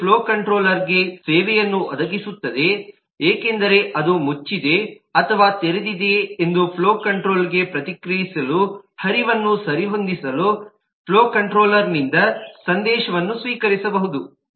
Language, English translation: Kannada, it provides service to the flow control because it can receive message from the flow control to adjust the flow, to respond to flow control as to whether it is closed or open